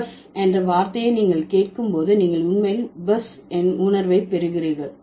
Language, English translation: Tamil, So, buzz, when you hear the word buzz, you actually get the feeling of buzz